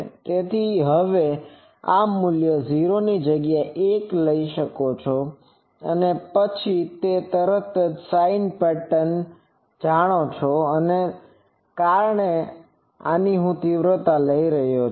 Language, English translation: Gujarati, So, now, you can take that this value will be 1 at 0 and then, it will go you know the sin pattern and since I am taking the magnitude